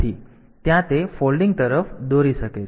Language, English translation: Gujarati, So, there that can lead to folding